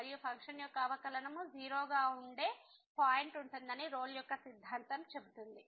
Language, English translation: Telugu, And the Rolle’s theorem says that the there will be a point where the function will be the derivative of the function will be